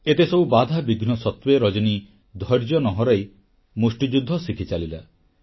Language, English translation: Odia, Despite so many hurdles, Rajani did not lose heart & went ahead with her training in boxing